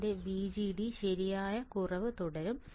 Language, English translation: Malayalam, my VGD will keep on decreasing right easy